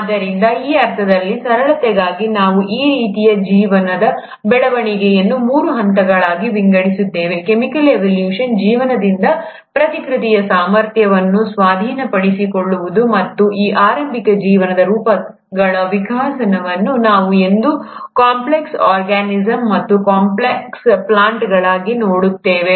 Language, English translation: Kannada, So, in that sense, for simplicity, we kind of divide this development of life into three phases, chemical evolution, acquisition of the replicative ability by life, and the evolution of these early forms of life into what we see today as complex organisms and complex plants